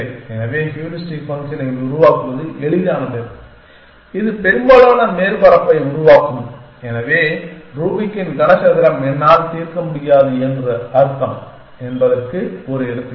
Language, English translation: Tamil, So, easy to devise heuristic function which will generates most of surface essentially, so Rubik’s cube is just an example of that which mean that I cannot solve